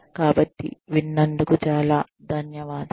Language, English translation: Telugu, So, thank you very much, for listening